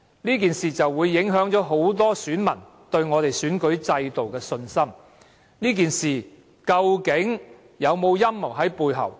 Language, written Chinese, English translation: Cantonese, 這件事會影響很多選民對本港選舉制度的信心，事件背後究竟有沒有陰謀？, The incident will undermine the confidence of electors on the election system in Hong Kong . Is there any conspiracy behind?